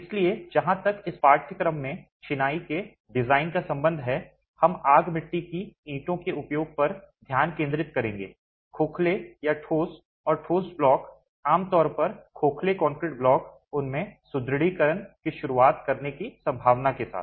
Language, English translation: Hindi, So, as far as the design of masonry in this course is concerned, we will focus on the use of fire play bricks, hollow or solid and concrete blocks typically hollow concrete blocks with the possibility of introducing reinforcement in there